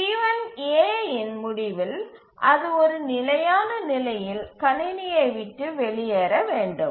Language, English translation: Tamil, So T1A, at the end of T1A it must leave the system with a consistent state